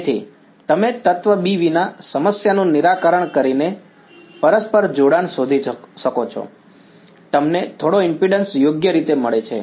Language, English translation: Gujarati, So, you could find out the mutual coupling by solving the problem without element B you get some impedance right